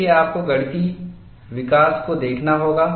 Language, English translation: Hindi, See, you have to look at the mathematical development